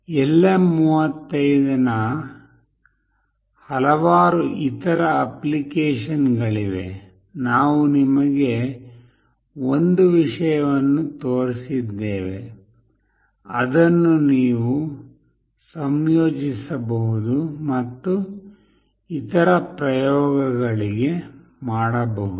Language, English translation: Kannada, There are various other application of LM35, we have shown you one thing, which you can incorporate and do it for other experiments